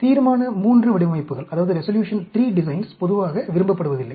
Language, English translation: Tamil, So, Resolution III designs are not generally liked